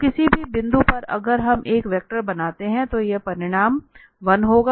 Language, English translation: Hindi, So at any point if we draw a vector, so that magnitude will be 1